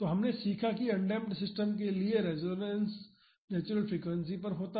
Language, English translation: Hindi, So, we have learnt that for undamped system, the resonance is at the natural frequency